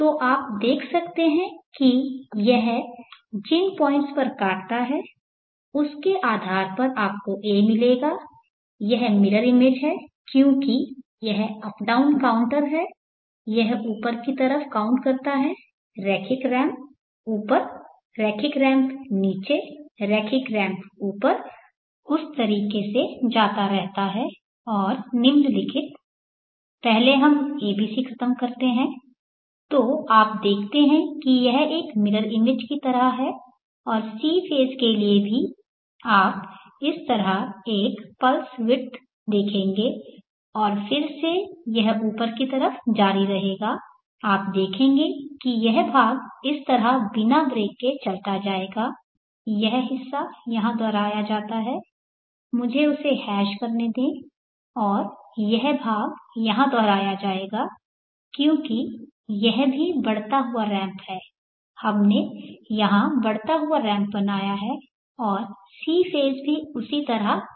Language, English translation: Hindi, So you can see depending upon the points where it cuts you will get the A it is mirror image because this up down counter this counts up linear ramp up linear ramp down linear ramp up keeps going in that fashion and following first let us finish the ABC so you see that it is like a mirror image and for the C phase also you will see as + width like this and then continue again up you will see that it continues without a seemed seamlessly without a break like this portion gets repeated here like that let me hatch that and this portion will get repeated here